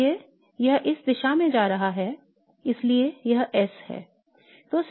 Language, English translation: Hindi, So this is going in this direction so it would be S